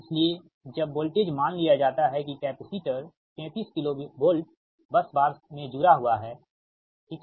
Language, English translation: Hindi, therefore, when voltage is, suppose, suppose capacitor is connected at a thirty three k v bus bar, right